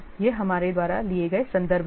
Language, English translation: Hindi, These are the references we have taken